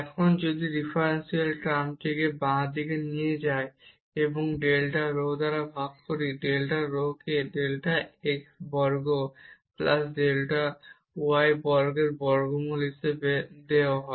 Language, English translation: Bengali, And if we take this differential term to the left hand side, and divide by this delta rho, delta rho is given as square root of delta x square plus delta y square